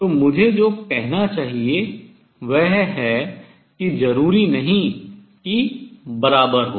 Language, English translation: Hindi, So, what I should say is not necessarily equal to